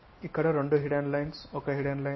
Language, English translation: Telugu, Here two hidden lines there, one hidden line